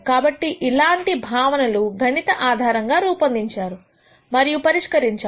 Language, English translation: Telugu, So, some of these are mathematically formulated and solved